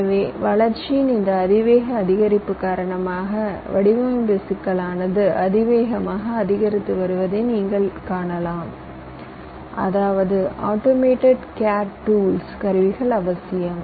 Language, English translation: Tamil, so, because of this exponential increase in growth, one thing you can easily see: the design complexity is also increasing exponentially, which means automated computer aided design tools are essential